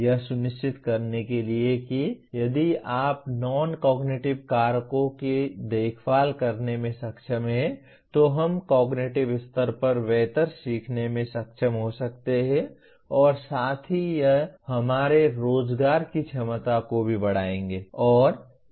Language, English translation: Hindi, To restate what happens if you are able to take care for non cognitive factors we may be able to learn better at cognitive level as well as it will greatly enhance our employment potential